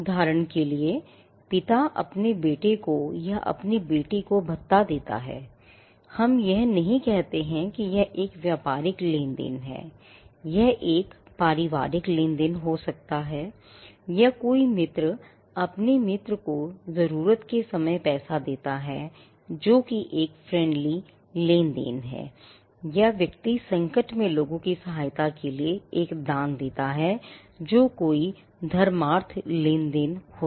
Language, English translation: Hindi, For an instance, father gives allowance to his son or to his daughter, we do not call that as a business transaction, it can be a familial transaction or a friend gives money to his friend in a time of need that is again friendly transaction or person gives a donation to assist people in distress that is again charitable transaction